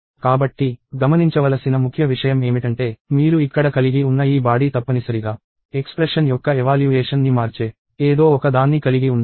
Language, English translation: Telugu, So, the key thing to notice is that, this body that you have here must contain something that will change the evaluation of the expression